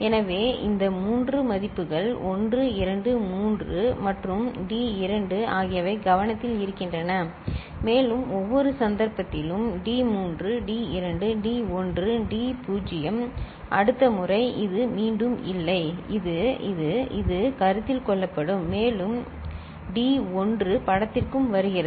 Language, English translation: Tamil, So, these three values 1 2 3 and D 2 comes into consideration and in each case d3 d2 d1 d naught is there next time again this; this; this; this will be coming into consideration and D1 also comes in to picture